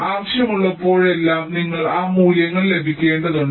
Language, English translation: Malayalam, you will have to get those values whenever required